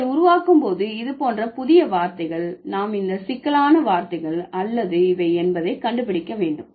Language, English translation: Tamil, So, when you create new words like this, we'll find out whether these are complex words or these are compound words